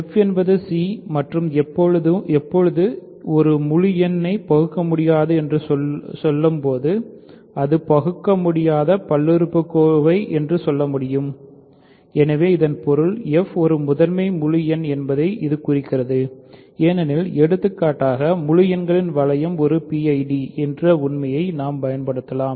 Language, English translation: Tamil, So, f is c and when is an integer irreducible is an irreducible polynomial; so that means, this implies that f is a prime integer because in for example, we can simply use the fact that the ring of integers is a PID